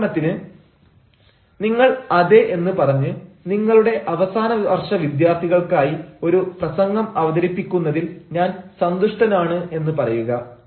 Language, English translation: Malayalam, say, for example, you have to say yes, as we delighted to deliver a talk to your final year students